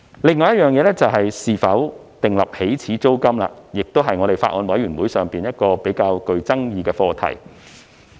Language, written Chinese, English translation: Cantonese, 另外，應否訂立起始租金，亦是法案委員會上較具爭議的課題。, Besides whether an initial rent should be set is also a relatively controversial issue in the Bills Committee